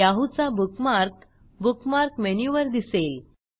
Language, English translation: Marathi, The Yahoo bookmark now appears on the Bookmark menu